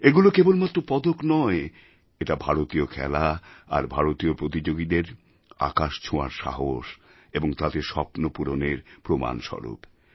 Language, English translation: Bengali, These are not just medals but an evidence of the sky high spirits of the Indian players